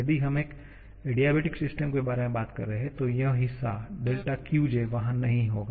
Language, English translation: Hindi, If we are talking about an adiabatic system, then this part will not be there